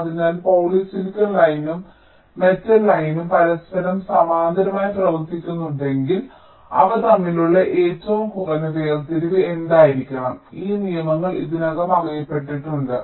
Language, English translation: Malayalam, so if there is a poly silicon line and metal line running parallel to each other, what should be the minimum separation between them